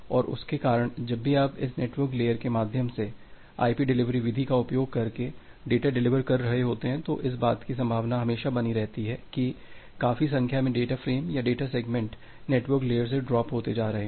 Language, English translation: Hindi, And because of that whenever you are delivering a data through this network layer using the IP delivery method, there is always a possibility that a considerable number of data frames or data segments, they are getting dropped from the from the network layer